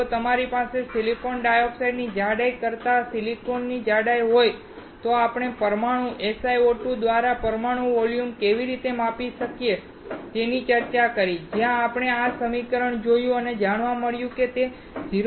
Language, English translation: Gujarati, If you have thickness of silicon over thickness of silicon dioxide, we discussed how you can measure the molecular volume by molecular SiO2 where we saw this equation and found that it equal to 0